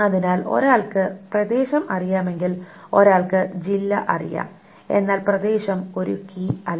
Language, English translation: Malayalam, So if one knows the area, one knows the district but area is not a key